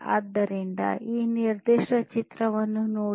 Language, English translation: Kannada, So, look at this particular picture